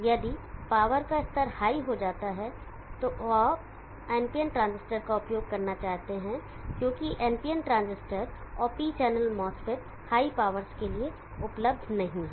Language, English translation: Hindi, If the power levels go high and you need to use NPN transistors, because the PNP transistor and P channel mass fits or not available for higher powers